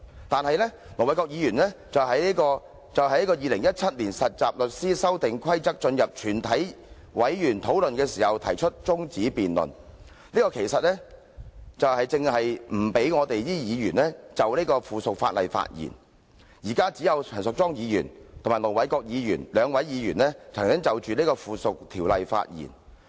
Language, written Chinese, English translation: Cantonese, 但是，盧議員卻在本會辯論有關察悉《〈2017年實習律師規則〉公告》的議案時，動議將辯論中止待續，此舉正正是不讓議員就有關附屬法例發言——只有陳淑莊議員和盧議員兩位議員曾就該附屬法例發言。, However when this Council was having a debate on the take - note motion in relation to the Trainee Solicitors Amendment Rules 2017 Commencement Notice Ir Dr LO moved a motion that the debate be adjourned . No other Members can then speak on the subsidiary legislation . Only Ms Tanya CHAN and Ir Dr LO have spoken on the subsidiary legislation